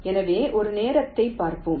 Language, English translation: Tamil, so lets look at one of the time